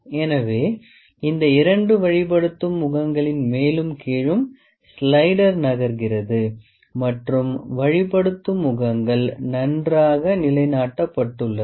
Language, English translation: Tamil, So, these two guiding faces are there on which the slider is moving up and down the guiding faces are also grounded very well